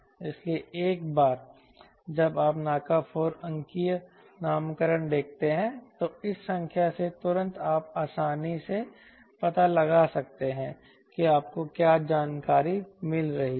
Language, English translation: Hindi, so once you see a naca four digit nomenclature, immediately from this number you could easily find out what are the information you are getting